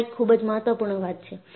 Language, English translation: Gujarati, And this is very very important